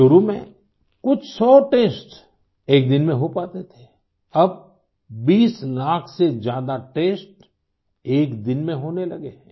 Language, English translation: Hindi, Initially, only a few hundred tests could be conducted in a day, now more than 20 lakh tests are being carried out in a single day